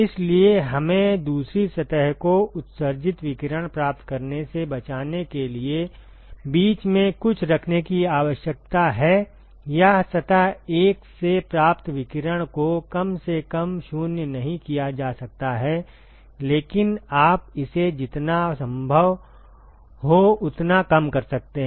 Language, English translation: Hindi, So, we need to place something in between, in order to protect the second surface from receiving the radiation emitted, or minimize the radiation that is received from surface 1 cannot be completely 0, but you minimize it as much as possible